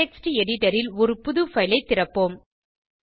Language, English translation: Tamil, Let us open a new file in the Text Editor